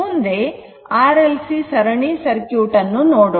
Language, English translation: Kannada, So, next we will consider that series R L C circuit